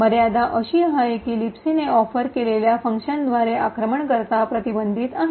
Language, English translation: Marathi, The limitation is that the attacker is constraint by the functions that the LibC offers